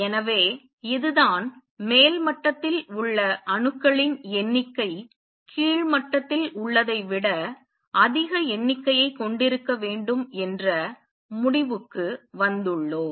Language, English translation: Tamil, So, this is what we have come to the conclusion that the upper level should have number of atoms larger than those in lower level